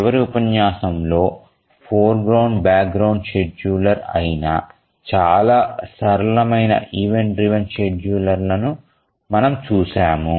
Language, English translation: Telugu, We had seen a very simple event driven scheduler, the foreground background scheduler in the last lecture